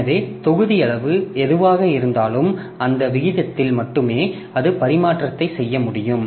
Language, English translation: Tamil, So, whatever be the block size determined, so at that rate only it can do the transfer